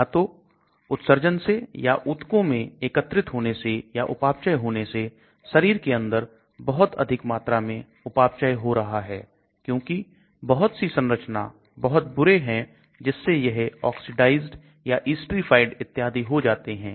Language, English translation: Hindi, Either as excreted, either as tissue deposits, either as metabolized too much metabolism taking place inside the body because some of the structural features are so bad that it gets either oxidized or it gets esterified and so on